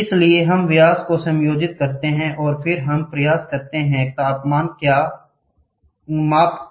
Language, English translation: Hindi, So, we adjust the diameter and then we try to measure what is the temperature